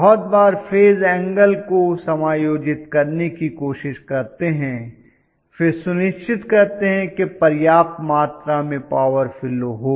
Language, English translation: Hindi, Very often we try to adjust the phase angle and then make sure that sufficient amount of power flows right